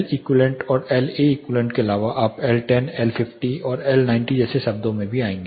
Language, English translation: Hindi, Apart from Leq and LAeq you also will be coming across terms like L10 L50 and L90